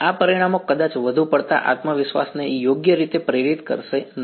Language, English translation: Gujarati, These results may not inspire too much confidence right